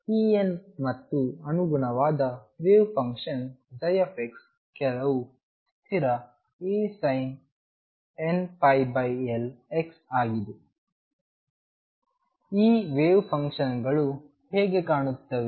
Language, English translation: Kannada, So, E n and the corresponding wave function psi x is some constant A sin n pi over L x, how do these wave functions look so